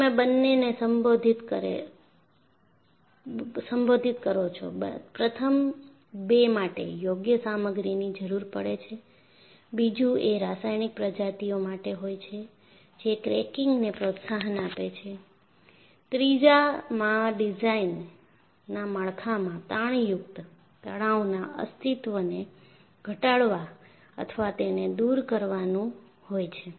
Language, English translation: Gujarati, So, you address both; in the first two, you have looked at appropriate material; second one is the chemical species that promotes cracking; the third one, you look at minimizing or eliminating the existence of tensile stresses in your design structure